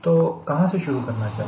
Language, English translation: Hindi, that is where from i start